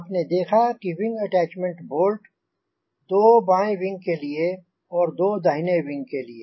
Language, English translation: Hindi, so you have seen the wing attachment bolts, two for the left wing and two for the right wing, two on the right side